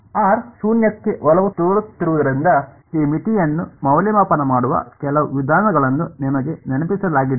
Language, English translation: Kannada, Is there some does are you reminded of some way of evaluating this limit as r tends to 0